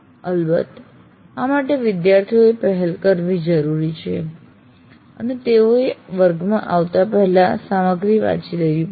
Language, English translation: Gujarati, But of course, this requires the students also to take initiative and they have to read the material and come to the class